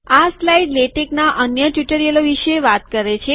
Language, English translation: Gujarati, This slide talks about other spoken tutorials on latex